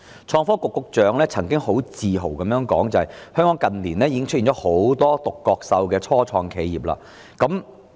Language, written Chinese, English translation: Cantonese, 創科局局長曾經很自豪地表示，香港近年已出現了許多"獨角獸"的初創企業。, The Secretary for Innovation and Technology has once proudly asserted that many unicorn start - ups have emerged in Hong Kong in recent years